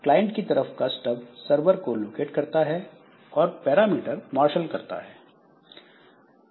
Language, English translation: Hindi, The client side stub it locates the server and marshals the parameters